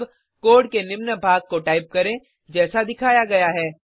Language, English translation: Hindi, Type the following piece of code as shown on the screen